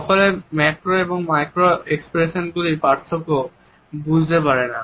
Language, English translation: Bengali, Not everybody can make out the difference between a macro and micro expression and can lose the significance or the meaning of micro expressions